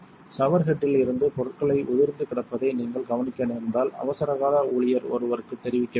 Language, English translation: Tamil, If you happen to notice material flaking on to the plating from the shower head you should notify an emergency staff member